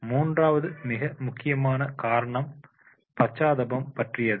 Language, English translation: Tamil, Third and important factor is and that is about the empathy